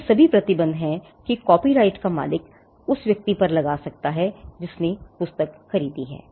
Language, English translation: Hindi, All these are restrictions that the owner of the copyright can impose on a person who has purchased the book